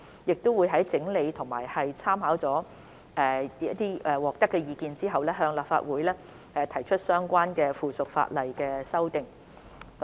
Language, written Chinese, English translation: Cantonese, 我們會在整理及參考接獲的意見後，向立法會提出相關的附屬法例修訂。, We will introduce to the Legislative Council the relevant amendments to subsidiary legislation after collating and taking into consideration the views received